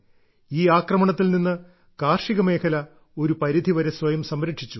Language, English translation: Malayalam, The agricultural sector protected itself from this attack to a great extent